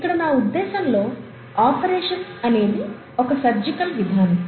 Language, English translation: Telugu, What I mean by an operation is a surgical procedure